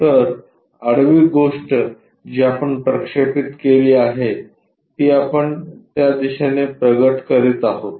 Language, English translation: Marathi, So, that this horizontal thing whatever we have projected that we are uncovering in that direction